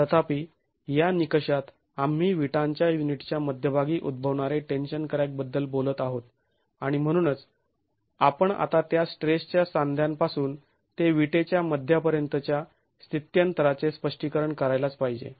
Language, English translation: Marathi, However, in this criterion we are talking of tension crack occurring at the center of the brick unit and therefore we must account for the translation of that stress now from the joint to the center of the brick and this is affected by the geometric proportion of the unit itself